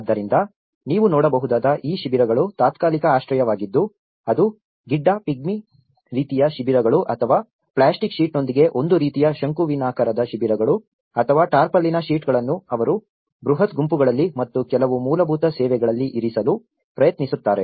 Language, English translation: Kannada, So, what you can see is this camps which are being a temporary shelters whether it is the Pygmy kind of shelters or a kind of conical shelters with the plastic sheet or the tarpaulin sheets where they try to accommodate in a huge groups and some basic services have been provided in those camps in this clusters